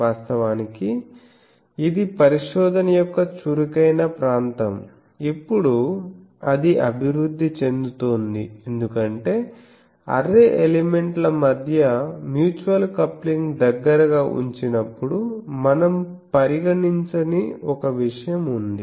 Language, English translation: Telugu, Now, there are various techniques actually, there are actually this is an active area of research even now also it is evolving because there are actually one thing we are not considering that mutual coupling between the array elements when they are placed closely